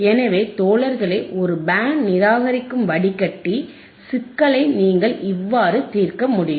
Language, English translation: Tamil, So, the guys this is how you can solve a band reject filter right problem which is given for the band reject filter